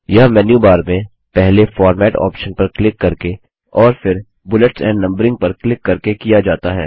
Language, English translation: Hindi, This is accessed by first clicking on the Format option in the menu bar and then clicking on Bullets and Numbering